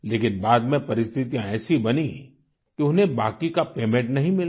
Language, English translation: Hindi, However, later such circumstances developed, that he did not receive the remainder of his payment